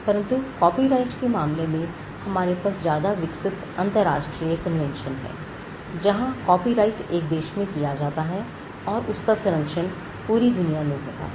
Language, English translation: Hindi, But in the case of copyright we have a much more evolved global convention where copyright created in one country is protected across the globe